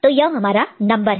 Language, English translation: Hindi, So, this is the corresponding number